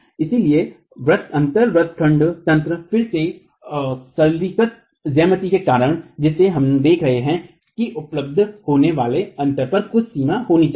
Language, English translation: Hindi, So the gap dashing mechanism again because of the simplified geometry that we are looking at needs to have some limit on the gap that is available